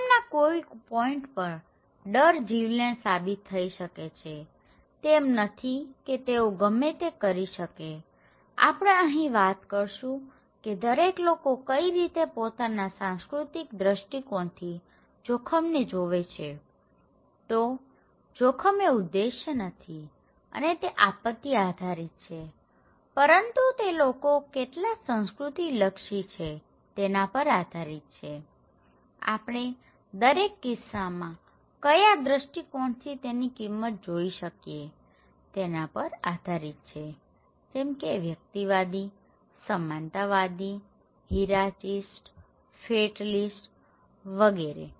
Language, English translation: Gujarati, Fatalists; don’t see the point of fearing any risk, it’s not like they can do anything about them so, we are talking about this that how one see different way of looking at the risk from their cultural perspective so, it is not that risk is objective and his hazard dependent but it is more that how people are culturally when oriented, how their perception values are met as we see in each cases; individuals, egalitarian, hierarchists and fatalists